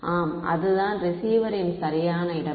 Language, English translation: Tamil, Yeah that is the location of the receiver right